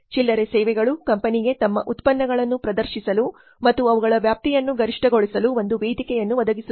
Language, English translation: Kannada, Retail services provide a platform to the company to showcase their products and maximize their reach